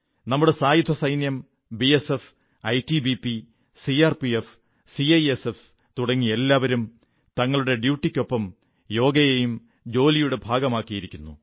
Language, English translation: Malayalam, Whether it is our armed forces, or the BSF, ITBP, CRPF and CISF, each one of them, apart from their duties has made Yoga a part of their lives